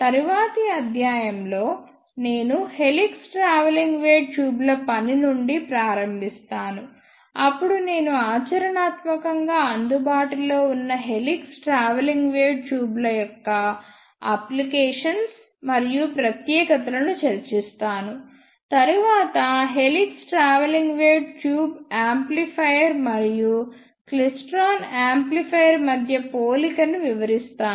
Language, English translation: Telugu, In the next lecture, I will start from working of helix travelling wave tubes, then I will discuss the applications and specifications of practically available helix travelling wave tubes, then the comparison of helix travelling wave tube amplifier and klystron amplifier